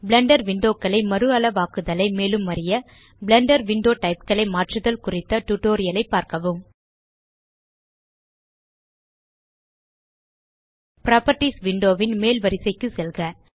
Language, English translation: Tamil, To learn how to resize the Blender windows see our tutorial How to Change Window Types in Blender Go to the top row of the Properties window